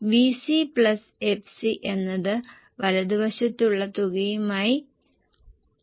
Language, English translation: Malayalam, V C plus FC will match with the total